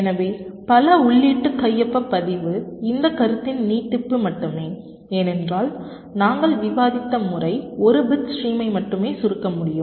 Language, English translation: Tamil, so multi input signature register is just an extension of this concept because, ah, the method that we have discussed is able to compress only a single bit stream